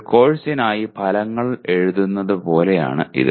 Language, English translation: Malayalam, It is like writing outcomes for a course